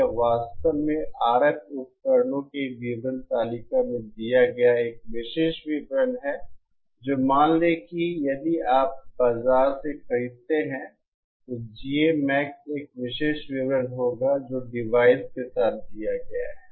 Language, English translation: Hindi, This is actually a specification given in the datasheets of RF devices that suppose if you buy from the market, then the GA Max will be a specification that is given with the device